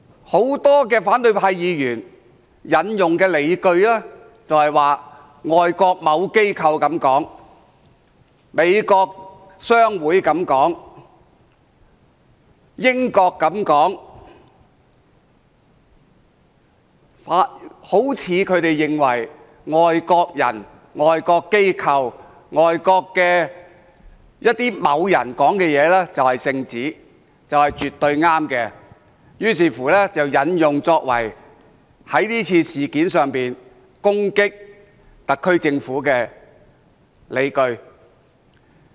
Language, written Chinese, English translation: Cantonese, 很多反對派議員引用的，就是外國某機構這樣說，美國商會這樣說，英國這樣說，好像他們認為外國人、外國機構、外國某人說的就是聖旨，就是絕對正確的，於是引用作為就這次事件攻擊特區政府的理據。, The quotations cited by many opposition Members are certain foreign institutions said so and so; the American Chamber of Commerce said so and so or the British Government said so and so . As long as the comments are made by foreigners or foreign institutions they are regarded by opposition Members as divine instructions and are absolutely correct . Opposition Members thus use those comments to attack the SAR Government